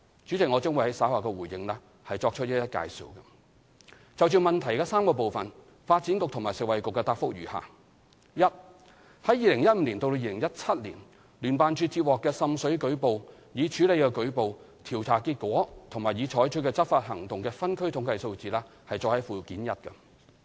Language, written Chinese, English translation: Cantonese, 主席，我將於稍後回應時作出介紹。就質詢的3個部分，發展局及食物及衞生局的答覆如下：一於2015年至2017年，聯辦處接獲的滲水舉報、已處理的舉報、調查結果和已採取的執法行動的分區統計數字載於附件一。, The Development Bureau and the Food and Health Bureau provide a joint reply to the three parts of the question as follows 1 The geographical statistics on water seepage reports received by JO reports handled investigation results and enforcement actions taken from 2015 to 2017 are set out at Annex 1